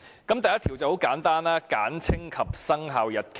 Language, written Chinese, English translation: Cantonese, 第1條很簡單，是"簡稱及生效日期"。, Clause 1 is very simple . It is Short title and commencement